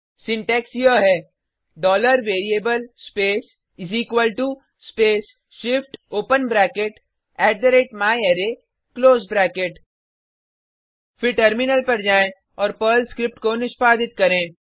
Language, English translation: Hindi, This syntax for this is $variable space = space shift open bracket @myArray close bracket Then switch to the terminal and execute the Perl script